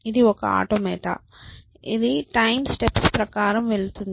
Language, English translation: Telugu, So, it is an automate which goes through a sequence of time steps